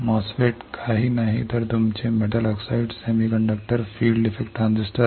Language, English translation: Marathi, MOSFET is nothing, but your metal oxide semiconductor field effect transistors